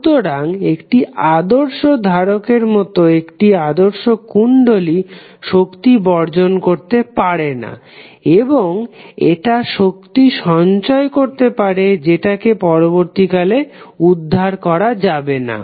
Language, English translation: Bengali, Therefore, the ideal inductor, like an ideal capacitor cannot decapitate energy and it will store energy which can be retrieve at later time